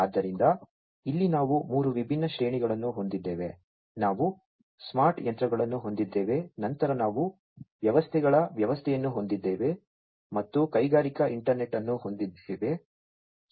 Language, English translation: Kannada, So, here we have three different tiers, we have the smart machines, then we have system of systems, and the industrial internet